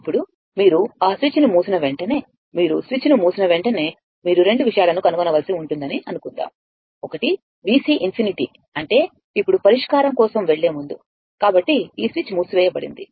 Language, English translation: Telugu, Now, as soon as you as soon as you close that switch right, as soon as you close the switch and suppose you have to find out 2 things; one is what is V C infinity, now now, before going for the solution, so, this switch is closed